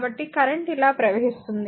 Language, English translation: Telugu, So, current is flowing like this right